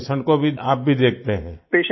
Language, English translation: Hindi, So you see the patient as well